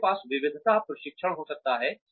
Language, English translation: Hindi, We can have diversity training